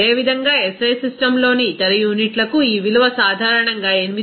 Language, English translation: Telugu, Similarly, for other units in SI system, this value is generally permitted as 8